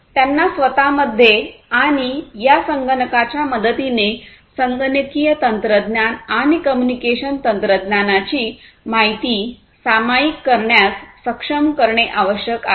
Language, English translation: Marathi, They need to be able to share the information between themselves and for doing that with the help of these computers and computing technology and communication technology etc